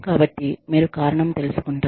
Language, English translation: Telugu, So, you know, you find out the reason